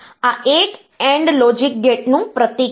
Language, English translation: Gujarati, So, this is a, this is a symbol of an AND logic gate